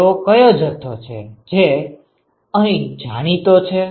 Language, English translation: Gujarati, What are the quantities which are known here